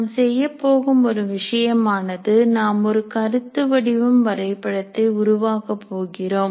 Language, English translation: Tamil, Now one of the things that we are going to do is to create what is called a course map, is concept map